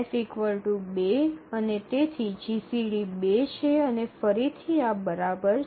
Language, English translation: Gujarati, So f is 2 and therefore the GCD is 2 and again this holds